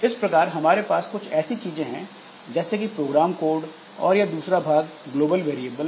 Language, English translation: Hindi, One thing is the program code and another part is the global variables